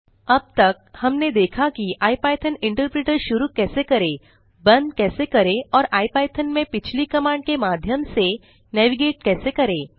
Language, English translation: Hindi, Till now, we saw how to invoke the ipython interpreter,quit the ipython and navigate through previous commands in ipython